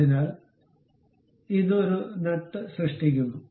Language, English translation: Malayalam, So, it creates a nut kind of a portion